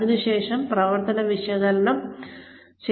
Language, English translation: Malayalam, After that, comes the operations analysis